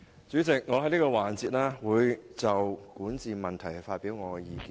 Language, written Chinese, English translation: Cantonese, 主席，在本辯論環節我會就管治問題發表意見。, President in this debate session I will present my views on issues concerning governance